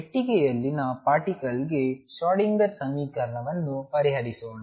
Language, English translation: Kannada, Solve the Schrödinger equation for particle in a box